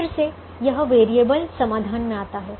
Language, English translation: Hindi, again this variable comes into the solution